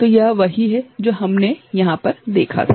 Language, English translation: Hindi, So, this is what we had seen before over here